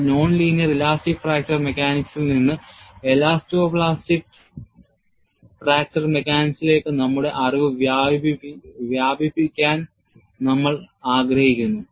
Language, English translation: Malayalam, So, we want to graduate from non linear elastic fracture mechanics to elasto plastic fracture mechanics